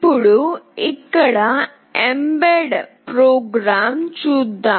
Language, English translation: Telugu, Now, let us see the mbed program here